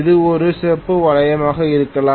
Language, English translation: Tamil, It can be a copper ring